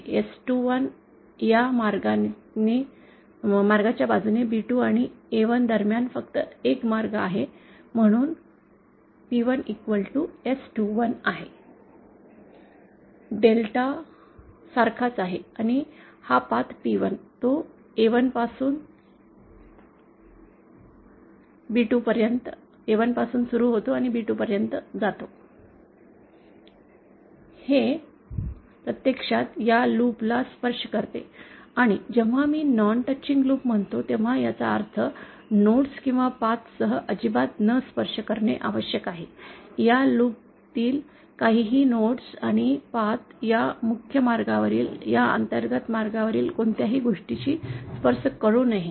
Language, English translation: Marathi, There is only one path between B2 and A1 which is along this path S21 and hence P1 is equal to S 21, delta remains the same and since this path, P1, it is starting from A1 to B2, it actually touches this loop and when I say non touching, it means non touching at all, including nodes or paths, nothing in this loop including the nodes and paths should touch anything in this inner path in this main path, including the nodes or any sub paths